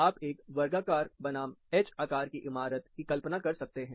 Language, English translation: Hindi, You can imagine a square versus a H shape building